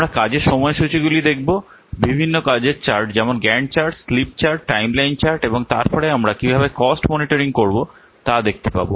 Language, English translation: Bengali, We'll see we can visualize the work schedules might be different chart such as Gant charts, slip chart, timeline chart, and then we'll see how to monitor the costs